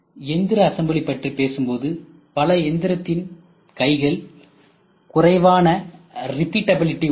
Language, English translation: Tamil, When we talk about robotic assembly many robo manipulators have poor repeatability